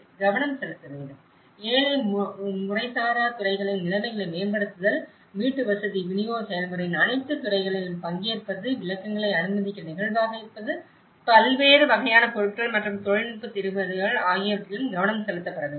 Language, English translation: Tamil, Focus; the focus is also should be laid on improving conditions of the poor informal sectors, participation of all sectors of housing delivery process, flexible to allow for interpretations, variety of materials and technical solutions